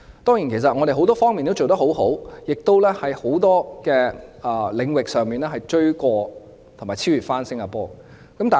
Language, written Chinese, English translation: Cantonese, 當然，我們很多方面都做得很好，在很多領域上亦超越新加坡。, Certainly we have done very well in many respects and have surpassed Singapore in many areas